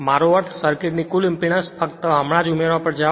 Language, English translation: Gujarati, 19 I mean total impedance of the circuit just you go on adding right